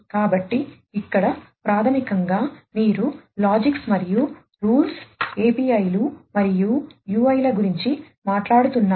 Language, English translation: Telugu, So, here basically you are talking about logics and rules APIs and UIs